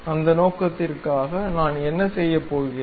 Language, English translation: Tamil, For that purpose, what I am going to do